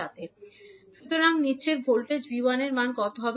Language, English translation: Bengali, So, what will be the value of voltage V 1